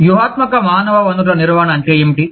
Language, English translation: Telugu, What is strategic human resource management